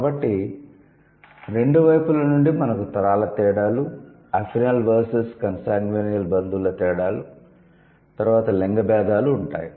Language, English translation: Telugu, So, from both the sides you will have generational differences, consangunial versus effenal relatives differences, then the gender differences